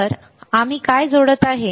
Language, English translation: Marathi, So, what we are connecting